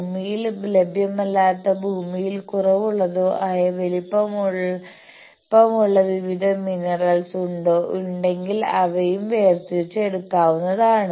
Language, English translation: Malayalam, Whether there are various valuable minerals which are not available in earth or which are scarce in earth they also can be extracted and taken